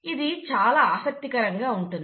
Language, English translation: Telugu, So, that's interesting